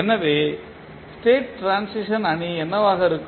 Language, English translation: Tamil, What is a State Transition Matrix